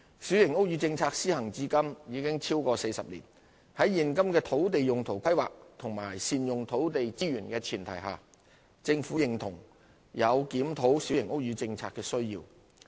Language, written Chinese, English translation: Cantonese, 小型屋宇政策施行至今已超過40年，在現今的土地用途規劃及善用土地資源的前提下，政府認同有檢討小型屋宇政策的需要。, The Government recognizes the need to review the Policy in the context of prevailing land use planning as well as optimal utilization of land resources